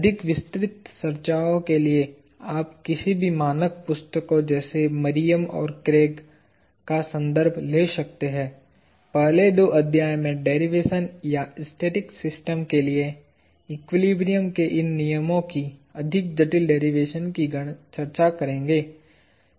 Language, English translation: Hindi, For more detailed discussions, you can refer to any standard text books such as Meriam and Kraig; the first two chapters would discuss the derivation – a more rigorous derivation of these laws of equilibrium for static systems